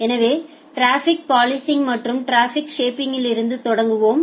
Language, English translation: Tamil, So, let us start with traffic policing and traffic shaping